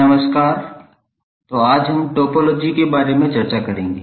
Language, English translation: Hindi, Now let us talk about the topology